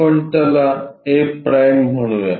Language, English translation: Marathi, let us call that point a